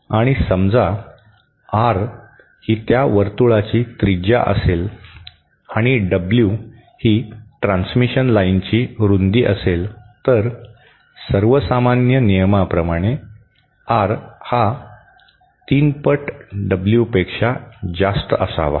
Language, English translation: Marathi, And suppose R is that radius of that circle and W is the width of the transmission line, then the rule of thumb is R should be greater than three times W